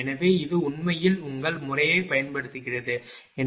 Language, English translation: Tamil, So, this is actually using your method 1